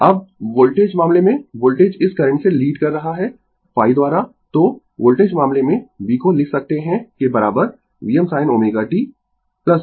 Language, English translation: Hindi, Now voltage case, voltage is leading this current by phi so, voltage case we can write v is equal to V m sin omega t, right plus phi, right